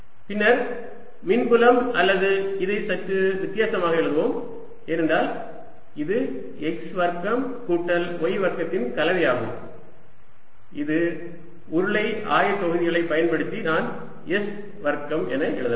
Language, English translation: Tamil, then the electric field, or let's write this slightly: difference, because this come in the combination of x square plus y square which, using cylindrical co ordinate, i can write as a square